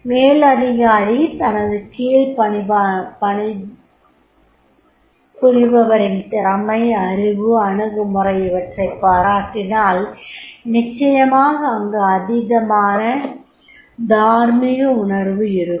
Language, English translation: Tamil, If superior is appreciating the subordinate skills, knowledge, his attitude, definitely he will have the high moral